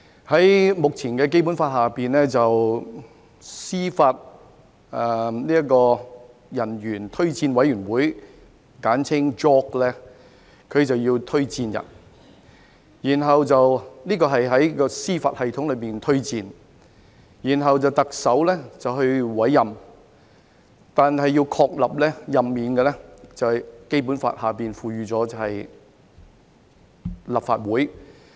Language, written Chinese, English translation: Cantonese, 在目前的《基本法》下，司法人員推薦委員會需要推薦人選，是在司法系統內推薦，然後由特首委任，但要確立任免，則按《基本法》由立法會通過。, The existing Basic Law provides that the Judicial Officers Recommendation Commission JORC makes recommendations on candidates for judicial appointments by the Chief Executive but their appointment and removal shall be endorsed by the Legislative Council under the Basic Law